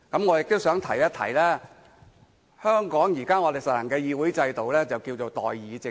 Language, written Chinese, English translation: Cantonese, 我亦都想提醒，香港現時實行的議會制度，稱為代議政制。, I also wish to remind them that the legislature in Hong Kong presently adopts the system of representative government